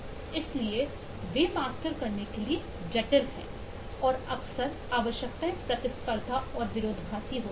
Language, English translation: Hindi, so they are complex to master and often the requirements are competing and contradictory, to take it as as well be contradictory